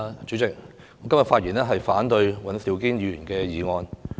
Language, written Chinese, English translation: Cantonese, 主席，我發言反對尹兆堅議員的議案。, President I rise to speak against Mr Andrew WANs motion